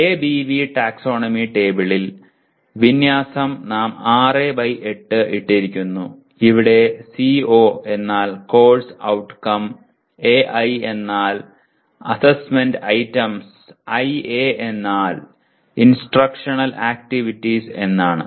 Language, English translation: Malayalam, Alignment in ABV taxonomy table, we have put as 6 by 8 and here CO means course outcome, AI is assessment items, IA means instructional activities